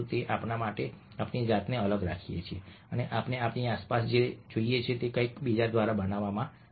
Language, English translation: Gujarati, so everything that we see around us, even if we isolate ourselves, have been created by somebody else